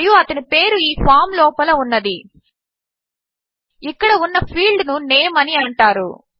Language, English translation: Telugu, And their name is contained within this form here sorry this field here called name